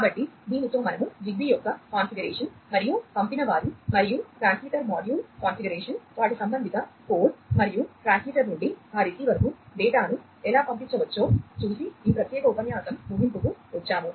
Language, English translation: Telugu, So, with this, we come to an end of this particular lecture we have seen the configuration of ZigBee, and the sender and the transmitter module configuration, their corresponding code, and how the data can be sent from the transmitter to that receiver